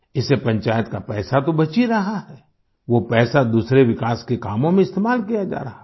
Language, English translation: Hindi, The money saved by the Panchayat through this scheme is being used for other developmental works